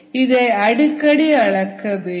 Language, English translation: Tamil, this is very difficult to measure